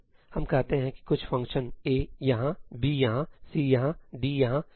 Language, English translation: Hindi, let us say there some function ëAí here, ëBí here, ëCí here, ëDí here, ëEí here